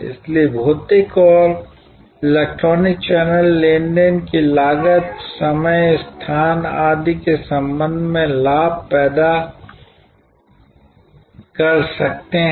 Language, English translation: Hindi, So, the physical and electronic channels may create advantages with respect to transaction cost, time, location and so on